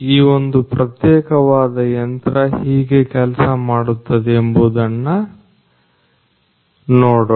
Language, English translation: Kannada, So, let us have a look at how this particular machine functions